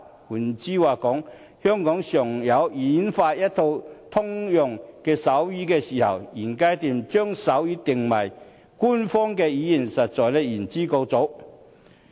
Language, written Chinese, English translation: Cantonese, 換言之，在香港演化出一套通用手語前，現階段將手語定為官方語言，實在是言之過早。, In other words before Hong Kong comes up with a common form of sign language it is premature at this stage to make sign language an official language